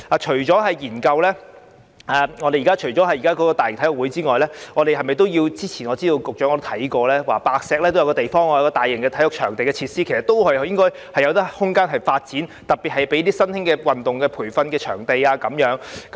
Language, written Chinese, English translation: Cantonese, 除了研究申辦大型運動會外，我知道局長曾經研究在白石興建大型體育場地設施，該處其實應該都有發展空間，特別是作為新興運動的培訓場地。, I know that apart from conducting studies on staging such events the Secretary has examined the provision of major sports venues and facilities in Whitehead where there should actually be room for development especially for the provision of training venues for new sports